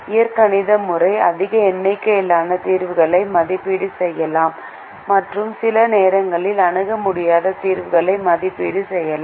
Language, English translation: Tamil, the algebraic method can evaluate a large number of solutions and sometimes evaluates infeasible solutions